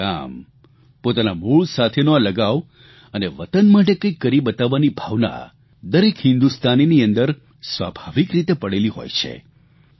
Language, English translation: Gujarati, A sense of belonging towards the village and towards one's roots and also a spirit to show and do something is naturally there in each and every Indian